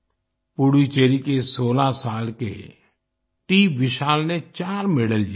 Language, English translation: Hindi, 16 year old TVishal from Puducherry won 4 medals